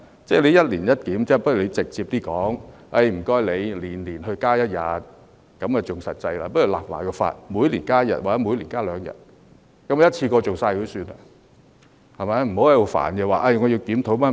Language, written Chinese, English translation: Cantonese, 要一年一檢，倒不如他直接提出，要求每年增加一天，這樣更實際，或是每年立法增加一天或每年增加兩天，一次過完成作罷，不要在這裏煩，說要檢討各樣。, Instead of proposing an annual review he had better directly request an annual increase of the duration by one day . This is a more practical approach . Or he should request the enactment of legislation to effect an annual increase of the duration by one or two days